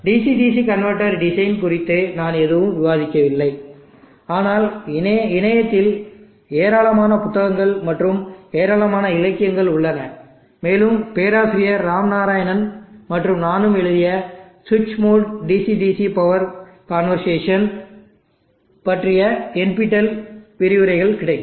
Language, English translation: Tamil, I have not discussed anything on the design of the DC DC converter, but there are host of books and lot of literature available in the net and also NPTEL lectures which is more DC DC power conversation, NPTEL lectures by Prof